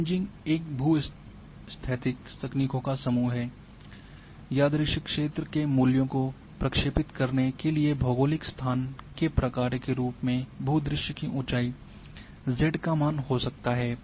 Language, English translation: Hindi, A Kriging is group of geostatiscal techniques to interpolate the values of the random field may be elevation z value of the landscape as a function of geographic location